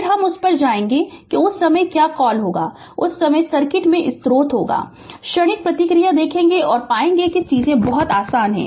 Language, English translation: Hindi, Then we will go to that your what you call that ah your at that time source will be there in the circuit at that time, you will see the transient response and you will find things are very easy right